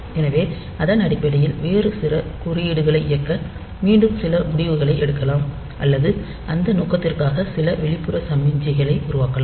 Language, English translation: Tamil, So, based on that we can again take some decision to run some other piece of code or produce some external signal for that purpose